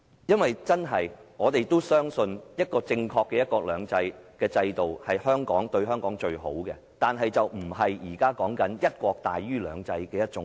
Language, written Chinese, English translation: Cantonese, 我們真的相信，正確的"一國兩制"模式對香港是最好的，但並非現時的"一國"大於"兩制"的模式。, We truly believe that the proper model of one country two systems is best for Hong Kong but that is not the current model in which one country is more important than two systems